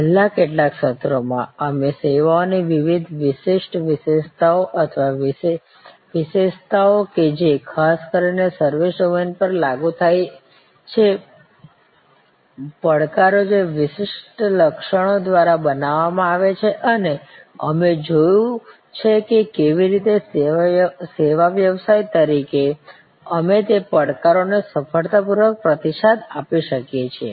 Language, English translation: Gujarati, In the last few sessions, we have looked at the different unique characteristics of services or characteristics that particularly apply to the service domain, the challenges that are created by those particular characteristics and we have seen how in different ways as a service business we can respond to those challenges successfully